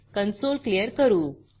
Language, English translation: Marathi, Clear the console here